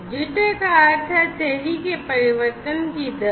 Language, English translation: Hindi, Jitter means the rate of change of delay